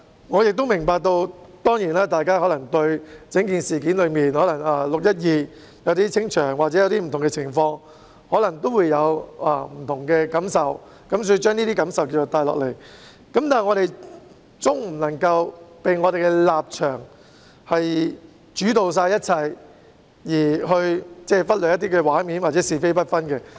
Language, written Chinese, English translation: Cantonese, 我明白到，大家對於整件事——例如6月12日的清場行動或不同的情況——可能會有不同的感受，因而將這些感受帶入議會，但我們總不能被本身的立場主導一切，而忽略一些畫面或者是非不分。, I understand that Members might have different feelings about the entire incident―for instance the dispersal action on 12 June or the various circumstances―so they have brought these feelings into the legislature but we cannot always be dictated by our respective stances and hence ignore some pictures or fail to distinguish between right and wrong